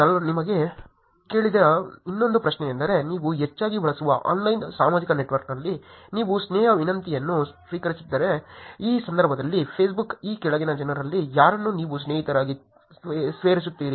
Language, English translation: Kannada, Another question that I asked you also is about if you receive a friendship request on your most frequently used online social network, which is Facebook in this case which of the following people will you add as friends